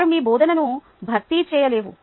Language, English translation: Telugu, they dont replace your teaching, right